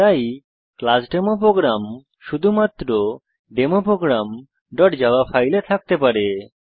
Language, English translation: Bengali, Hence the class Demo Program can exist only in the file Demo program